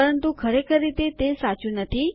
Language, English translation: Gujarati, But in actual fact, thats not true